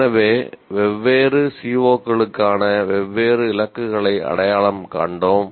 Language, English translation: Tamil, So, here we identified different targets for different COs